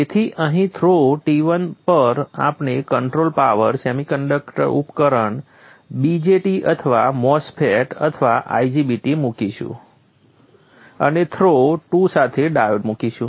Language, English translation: Gujarati, So here at the throw T1 we will put the controlled power semiconductor device VJT or a MOSFET or 90 BT and along through 2 we will put the dive